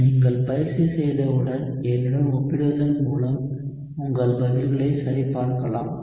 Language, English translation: Tamil, Once you practice you can check your answers by comparing with me